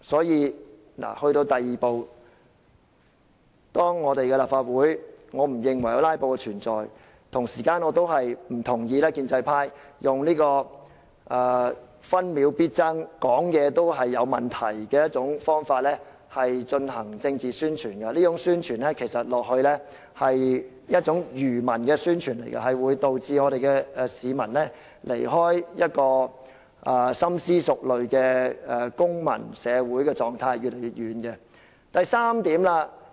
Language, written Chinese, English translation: Cantonese, 因此，對於第二步，由於我不認為我們的立法會有"拉布"的存在，我不同意建制派以"分秒必爭"這口號、好像議員說話也有問題的方法進行政治宣傳，這是一種愚民的宣傳，會導致市民與深思熟慮的公民社會狀態離開得越來越遠。, Hence regarding this second step of the pro - establishment camp I disagree with their slogan of every minute counts for I disagree that there are filibusters in the Legislative Council . The political propaganda seems to suggest that it is wrong for Members to make speeches and this obscurantist approach will lead the public farther away from a civil society guided by careful consideration